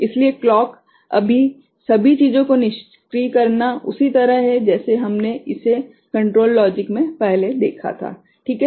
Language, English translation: Hindi, So, the disabling of clocks all things are similar the way we had seen it before in the control logic, right